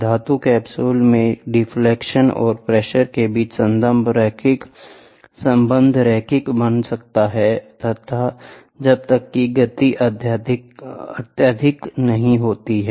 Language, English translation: Hindi, In the metallic capsule, the relationship between the deflection and pressure remains linear as long as the movement is not excessive